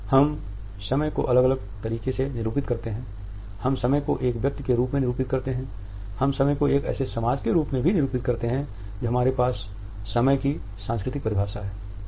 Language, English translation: Hindi, We keep time in different ways we keep time as an individual, we keep time as a society we also have a cultural definition of time